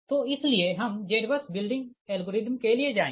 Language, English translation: Hindi, so that's why we will go for z bus building algorithm